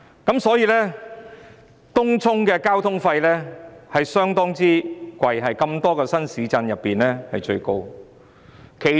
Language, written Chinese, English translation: Cantonese, 因此，東涌的交通費相當昂貴，在眾多新市鎮中最高。, Therefore transport expenses in Tung Chung have remained very high the highest among all new towns